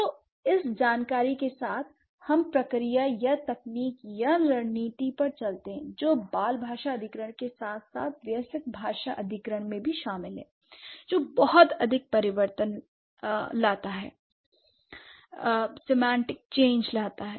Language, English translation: Hindi, So, with this information, let's move to the process or the technique or the strategy that is involved in child language acquisition as well as the adult language acquisition, which brings a lot of semantic change